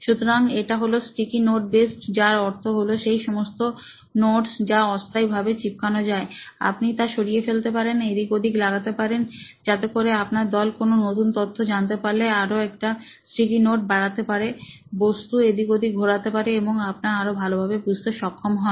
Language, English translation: Bengali, So, it is sticky note based, meaning those notes that stick temporarily and you can remove, move it around so that as in when new information your team figures out, you can actually add a sticky note, move things around as your understanding becomes better